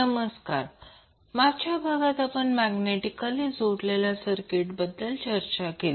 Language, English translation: Marathi, Namaskar, so in last session we discussed about the magnetically coupled circuit